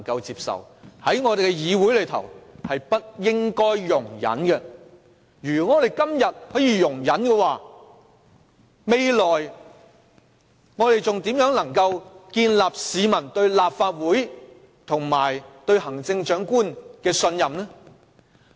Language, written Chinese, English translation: Cantonese, 如我們今天容忍這種介入方式，未來還如何建立市民對立法會及行政長官的信任？, If we condone this kind of interference today how can the people trust the Legislative Council and the Chief Executive in the future?